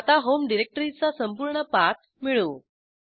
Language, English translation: Marathi, Now lets find out the full path of homedirectory